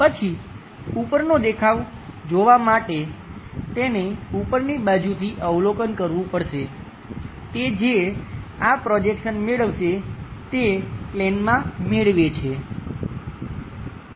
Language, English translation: Gujarati, Then, to look at top view, he has to go observe the from top side whatever this projection he is going to get onto that plane